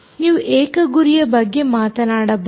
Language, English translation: Kannada, you can be talk about single target